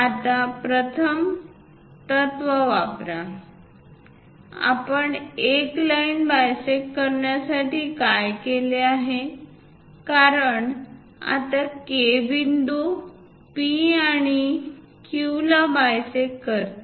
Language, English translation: Marathi, Now, use the first principle; what we have done, how to bisect a line because now K point bisects P and Q